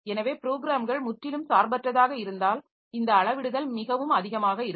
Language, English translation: Tamil, So, if the programs are totally independent then this scalability is pretty high